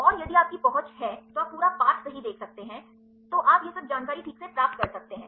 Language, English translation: Hindi, And if you have access then you can see the full text right, then you can get all this information right fine right